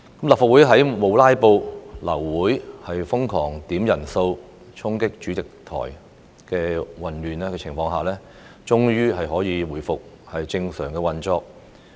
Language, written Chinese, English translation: Cantonese, 立法會在沒有"拉布"、流會丶瘋狂點算人數、衝擊主席台的混亂情況下，終於可以回復正常運作。, As regards the Legislative Council it is able to resume normal operation in the absence of filibusters cancellation of meetings crazily frequent quorum calls and chaos involved in the storming of the Presidents podium